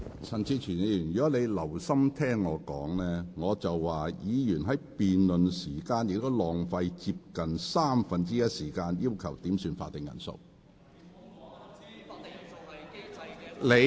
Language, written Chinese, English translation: Cantonese, 陳志全議員，如果你有留心聆聽，我剛才是說，議員在辯論期間亦浪費了接近三分之一時間，要求點算法定人數。, Mr CHAN Chi - chuen had you been listening to me attentively you would have known that what I said was that Members had wasted one third of the time requesting headcounts during the debate